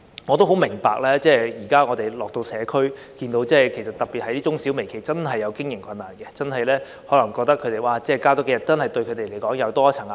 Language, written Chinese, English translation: Cantonese, 我很明白，亦在探訪社區時看到，中小微企真正面對經營上的困難，所以增加數天假期可能對他們會有多一重壓力。, I very much understand and see during my visit to the community that micro small and medium enterprises are indeed plagued by operational difficulties so adding a few holidays may have imposed further pressure on them